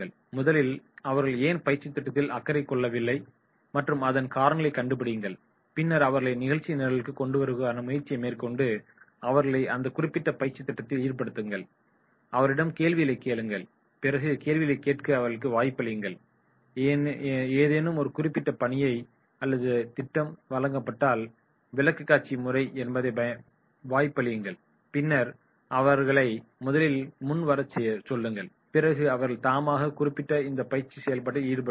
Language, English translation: Tamil, Find out the reasons for their apathy, why they are not concerned and make an effort to bring them into the program and then getting involved into that particular training program, asking them questions, giving opportunity to them to ask the questions, giving opportunity for presentation if there is any particular assignment or project is given and then ask them to come forward and then they get involved into this particular training process